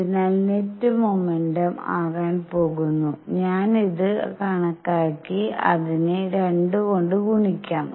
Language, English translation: Malayalam, So, net momentum is going to be I will calculate this and multiply it by 2